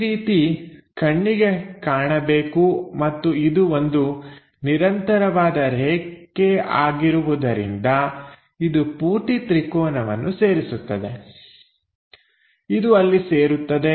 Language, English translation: Kannada, And because it is a continuous line here to there it connects the entire triangle, it connects there